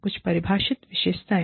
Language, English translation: Hindi, Some defining characteristics